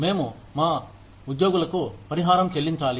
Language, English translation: Telugu, We need to compensate our employees